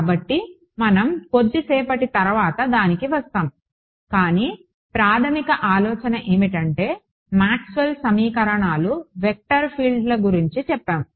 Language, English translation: Telugu, So, we will come to that towards a little bit later, but basic idea is Maxwell’s equations are about vector fields